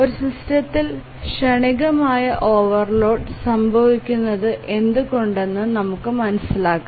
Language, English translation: Malayalam, Let's understand why transient overloads occur in a system